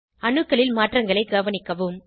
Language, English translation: Tamil, Observe the change in the atoms